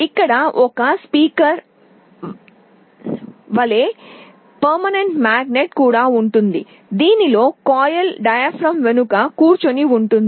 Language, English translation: Telugu, Just like a speaker there is a permanent magnet there will be magnetic field in which the coil is sitting